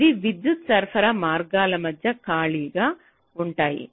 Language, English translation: Telugu, so they are interspaced between power supply lines